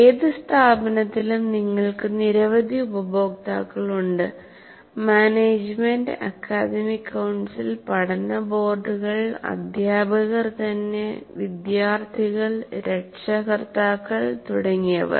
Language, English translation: Malayalam, In any institute you have several stakeholders, like starting with the management, and then you have academic council, you have boards of studies, then you have the teachers themselves, students, parents and so on